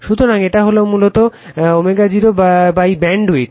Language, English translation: Bengali, So, it is basically W 0 by BW bandwidth